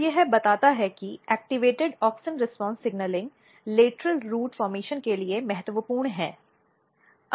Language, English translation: Hindi, So, this suggests that activated auxin response signalling is important for lateral root formation